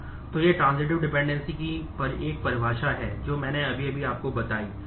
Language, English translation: Hindi, So, this is a definition of transitive dependency which I have just loosely told you